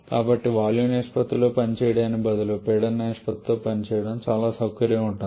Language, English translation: Telugu, So, instead of working in volume ratio it is much more comfortable to work with the pressure ratio